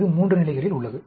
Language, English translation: Tamil, This is at 3 levels